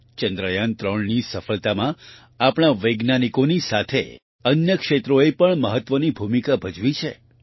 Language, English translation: Gujarati, Along with our scientists, other sectors have also played an important role in the success of Chandrayaan3